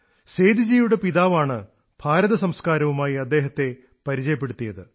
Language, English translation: Malayalam, Seduji's father had introduced him to Indian culture